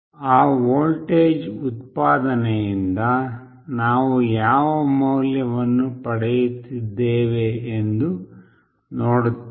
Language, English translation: Kannada, We will see that what value we are getting from that voltage output